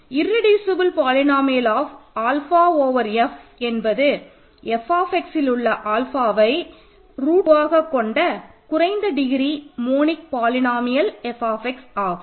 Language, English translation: Tamil, The irreducible polynomial of alpha over F is the least degree monic polynomial F x in capital F x which as alpha as a root